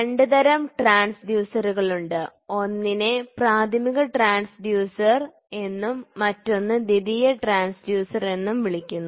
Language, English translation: Malayalam, There are two types of transducers; one it is called as primary transducer, the other one is called as secondary transducer